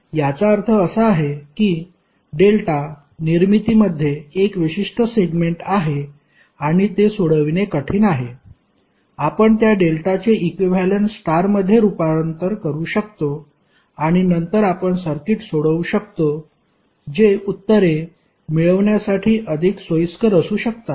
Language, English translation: Marathi, It means that the circuit which has 1 particular segment in delta formation and it is difficult to solve, you can convert that delta formation into equivalent star and then you can solve the circuit which is more convenient to get the answers